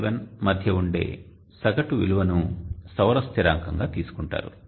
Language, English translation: Telugu, 37 is taken as the solar constant